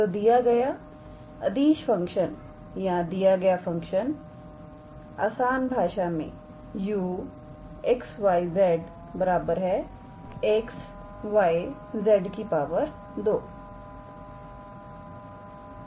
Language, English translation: Hindi, So, the given scalar function or the givens function, simply is u x, y, z equals to x y z square